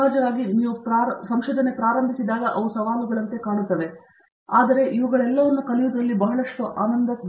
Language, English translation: Kannada, Of course, they look as challenges when you start with, but there is a lot of enjoyment in learning all these